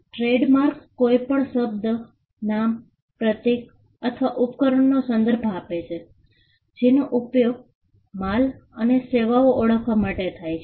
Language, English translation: Gujarati, A trademark refers to any word, name, symbol or device which are used to identify and distinguish goods and services